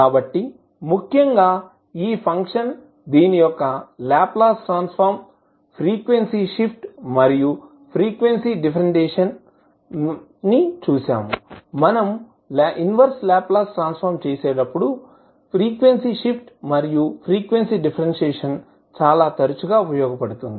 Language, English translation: Telugu, So, particularly this function and this, the Laplace Transform, in case of frequency shift and frequency differentiation will be used most frequently when we will do the inverse Laplace transform